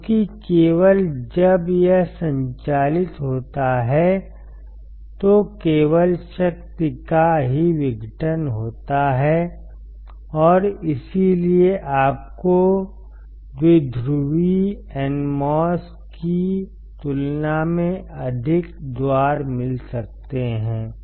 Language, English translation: Hindi, Because only when it operates then only the power is dissipated and that is why you can have more gates compared to bipolar NMOS